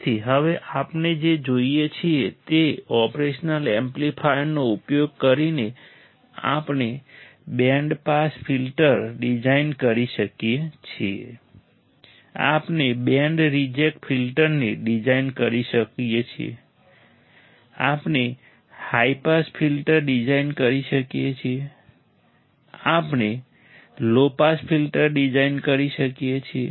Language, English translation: Gujarati, So, now what we see is using the operational amplifier we can design a band pass filter, we can design a band reject filter, we can design high pass filter, we can design a low pass filter